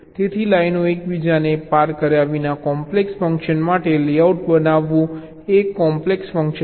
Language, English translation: Gujarati, so generating a layout for a complex function without the lines crossing each other is a challenging task